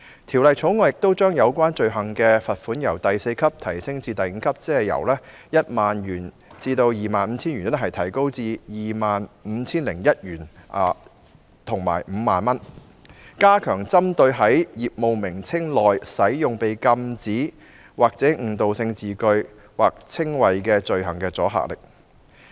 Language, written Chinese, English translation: Cantonese, 《條例草案》亦將有關罪行的罰款由第4級提高至第5級，即由 10,001 元至 25,000 元提高為 25,001 元至 50,000 元，以加強針對在業務名稱內使用被禁止或具誤導性的字眼或稱謂的罪行的阻嚇力。, The Bill also proposes to raise the level of fine for related offences from level four to level five meaning an increase from the range of 10,001 and 25,000 to that of 25,001 and 50,000 so as to enhance the deterrent effect on the offence of using prohibited or misleading wording or descriptions in business names